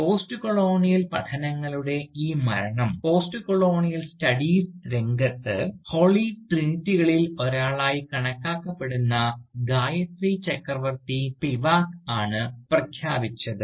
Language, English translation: Malayalam, Indeed, this death of Postcolonial studies, has been announced by no less a figure than, Gayatri Chakravorty Spivak, who is regarded as one of the Holy Trinity, in the field of Postcolonial Studies